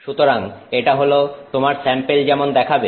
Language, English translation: Bengali, So, that is how your sample would be